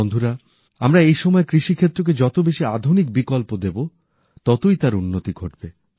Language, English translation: Bengali, Friends, in presenttimes, the more modern alternatives we offer for agriculture, the more it will progress with newer innovations and techniques